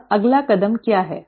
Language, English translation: Hindi, And what is the next step